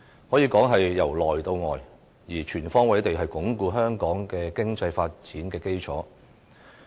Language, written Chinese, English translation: Cantonese, 可以說是由內到外，全方位地鞏固香港的經濟發展的基礎。, It can be regarded as a thorough and all - embracing approach to consolidating the foundation for the economic development of Hong Kong